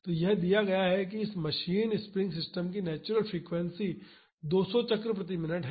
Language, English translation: Hindi, So, it is given that the natural frequency of this machine spring system is 200 cycles per minute